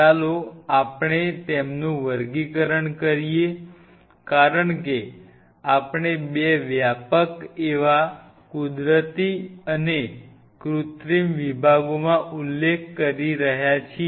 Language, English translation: Gujarati, Let us classify them as we are mentioning into 2 broad categories; Synthetic and Natural